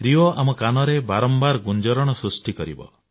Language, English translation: Odia, RIO is going to resound in our ears time and again